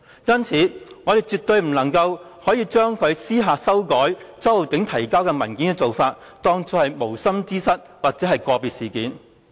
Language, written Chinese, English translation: Cantonese, 因此，我們絕對不能將他私下修改周浩鼎議員提交的文件，當作是無心之失或個別事件。, Therefore we absolutely will not regard his clandestine amendment of the document submitted by Mr Holden CHOW as inadvertent or an individual incident